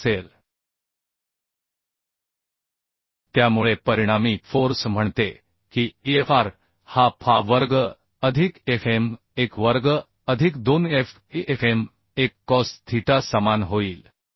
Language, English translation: Marathi, 232 So resultant force say Fr will become Fa square plus Fm1 square plus 2FaFm1 cos theta is equal to you can put this value as Fa square is 18